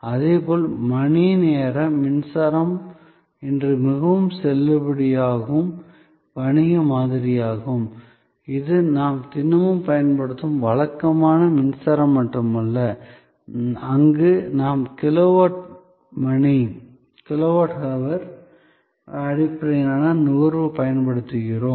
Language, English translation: Tamil, Similarly, power by hour is also very valid business model today, it is not only our regular everyday usage of electricity where we are using kilowatt hour based consumption